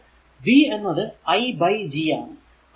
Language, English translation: Malayalam, So, v is equal i is equal to Gv